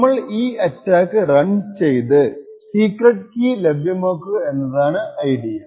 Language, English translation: Malayalam, The idea is that we run this attack and try to get this security key